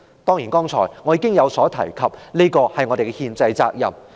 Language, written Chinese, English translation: Cantonese, 剛才我已提及，這是我們的憲制責任。, As I already mentioned just now it is our constitutional duty